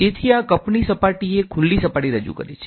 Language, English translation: Gujarati, So, this is the surface of the cup represents a